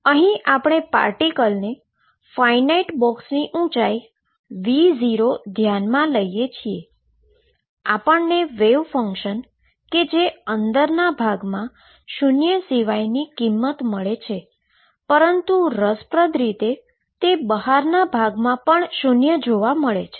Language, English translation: Gujarati, We had considered particle in a finite size box height being V 0 and what we found is that the wave function was non zero inside, but interestingly it also was non zero outside